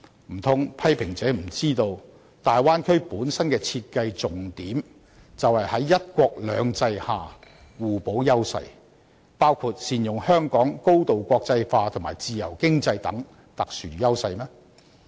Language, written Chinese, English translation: Cantonese, 難道批評者不知道，大灣區本身的設計重點，就是要在"一國兩制"下互補優勢，包括善用香港高度國際化及自由經濟等特殊優勢嗎？, Do such people understand that according to the concept design of the Bay Area the three places have to complement each others strengths under the principle of one country two systems including making optimum use of Hong Kongs unique advantages in its highly internationalized position and free economy?